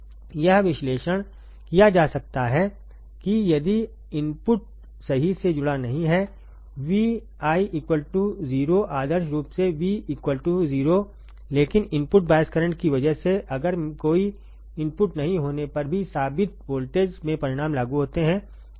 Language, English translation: Hindi, It can be analyzed that if the input is not connected right V I equals to 0 ideally V equals to 0, but because of input bias current if the results in proved voltage even when there is no applied no input is applied, right